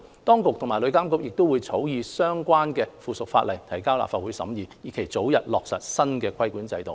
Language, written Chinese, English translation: Cantonese, 當局及旅監局亦會草擬相關的附屬法例，提交立法會審議，以期早日落實新的規管制度。, The authorities and TIA will draft the relevant subsidiary legislation and submit it to the Legislative Council for scrutiny in the hope that the new regulatory regime can be implemented as soon as possible